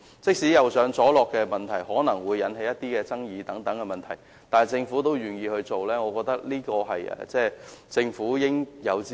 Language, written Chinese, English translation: Cantonese, 即使"右上左落"的行車安排可能會引起爭議，但政府仍然願意實行，我覺得這是政府應有之義。, Even though the right - driving arrangement may cause controversy the Government is still willing to implement it . This is in my opinion what the Government ought to do